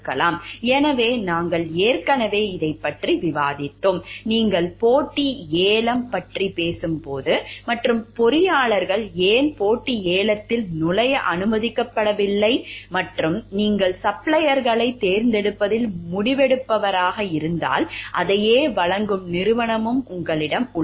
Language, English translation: Tamil, So, we have already discussed this over, like when you talking of competitive bidding and why engineers are not permitted to enter into competitive bidding, and if you were a decision maker in terms of selection of suppliers and you also have a company who supplies same types of goods, then whether you will be able to do it or not